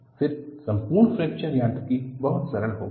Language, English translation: Hindi, Then, the whole of Fracture Mechanics became very simple